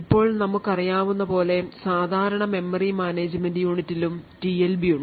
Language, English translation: Malayalam, Now as we know the typical memory management unit also has a TLB present in it